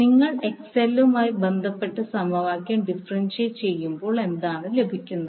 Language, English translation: Malayalam, So, this is what you get when you differentiate this is the equation with respect to XL